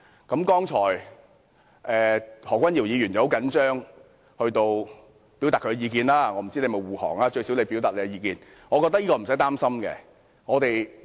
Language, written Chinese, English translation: Cantonese, 剛才何君堯議員很緊張，表達了他的意見，我不知道他是不是護航，但最少他表達了自己的意見。, Dr Junius HO has just now acted anxiously when expressing his views . I do not know whether he was seeking to shield the persons concerned but he has expressed his views at the very least